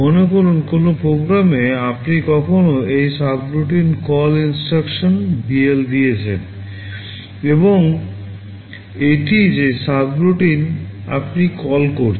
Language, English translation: Bengali, Suppose in a program somewhere you have given a subroutine call instruction BL and this is the subroutine you are calling